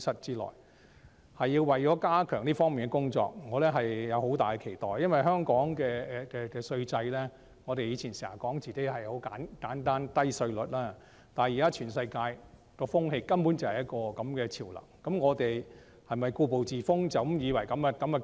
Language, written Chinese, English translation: Cantonese, 有關安排是為了加強這方面的工作，我對此有很大的期待，因為我們過去經常說香港的稅制十分簡單，稅率又低，但現在全世界的潮流根本就是這樣，那麼我們是否要故步自封，以為這樣便足夠？, The arrangement serves to strengthen the work in this area and I have high expectations for it because we used to say that Hong Kong has a very simple tax regime with low tax rates but now that the global trend goes exactly the same way we should not be stuck in the old ways believing that the status quo suffices should we?